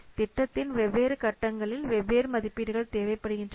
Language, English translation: Tamil, So, during different phases of the project, different estimates are required